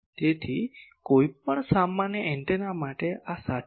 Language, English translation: Gujarati, So, this is true for any general antenna